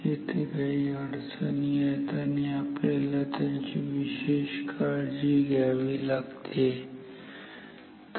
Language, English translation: Marathi, There are some issues and we need special care about that ok